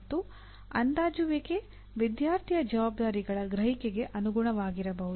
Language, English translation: Kannada, And assessment could be in terms of the student’s perception of his responsibilities